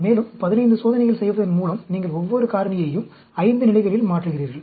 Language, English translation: Tamil, And, by doing 15 experiments, you are changing each of the factor 5 levels